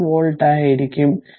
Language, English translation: Malayalam, 6 volt right